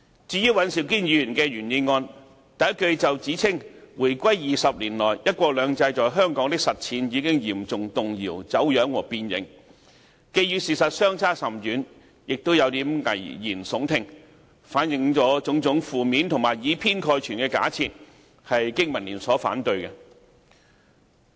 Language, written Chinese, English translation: Cantonese, 至於尹兆堅議員的原議案，首句就指"回歸20年來，'一國兩制'在香港的實踐已經嚴重動搖、走樣和變形"，既與事實相差甚遠，也有點危言聳聽，反映了種種負面和以偏概全的假設，香港經濟民生聯盟因而反對。, The first sentence in Mr Andrew WANs original motion over the 20 years following the reunification the implementation of one country two systems in Hong Kong has been severely shaken distorted and deformed is far from the truth and is somewhat an alarmist talk . It reflects the Members negative and partial assumptions . The Business and Professionals Alliance for Hong Kong BPA thus opposes the motion